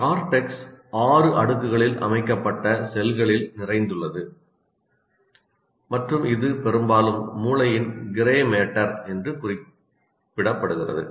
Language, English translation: Tamil, And the cortex is rich in cells arranged in six layers and is often referred to as a brain's gray matter